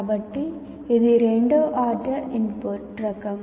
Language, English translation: Telugu, So it is a second order input kind of thing